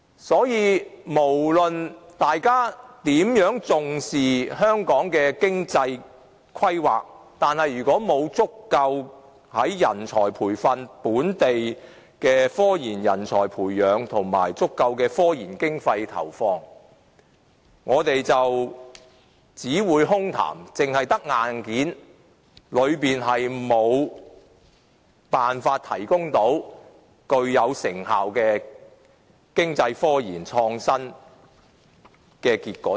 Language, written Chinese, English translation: Cantonese, 所以，無論大家如何重視香港的經濟規劃，假如沒有足夠的人才培訓、本地科研人才的培養及足夠的科研經費投放，將只流於空談，空有硬件而無法得出具成效的經濟科研和創新成果。, Without adequate talent training sufficient nurturing of local scientific research talents as well as appropriate investment in scientific research no matter how Hong Kong attaches importance to its economic planning it will only turn out to be hollow words . With only the hardware we will not be able to deliver effective results in the economic scientific research and produce fruits of innovation